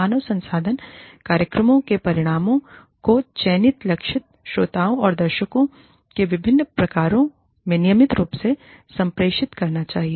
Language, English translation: Hindi, The results of HR programs, should be routinely communicated, to a variety of selected target audiences